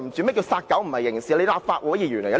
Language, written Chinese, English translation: Cantonese, 你說"殺狗不是刑事"，你是甚麼意思呢？, What do you mean by saying killing dogs is not criminal?